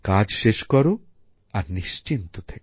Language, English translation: Bengali, Finish your work and be at ease